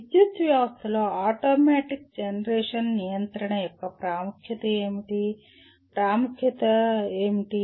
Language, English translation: Telugu, What is the importance of automatic generation control in a power system, what is the importance